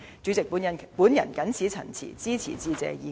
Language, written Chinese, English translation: Cantonese, 主席，我謹此陳辭，支持致謝議案。, With these remarks President I support the Motion of Thanks